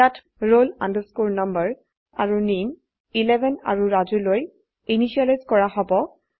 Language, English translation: Assamese, Here, roll number and name will be initialized to 11 and Raju